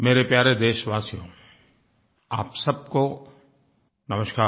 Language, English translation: Hindi, My dear fellow citizens, Namaskar